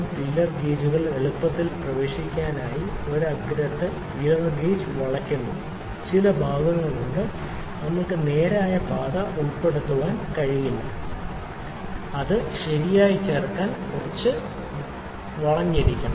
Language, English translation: Malayalam, In this case the feeler gauge bent towards a tip for the easy access to the intricate parts of the motor there are certain parts in which we cannot insert a straight path we need to have some bent to insert it properly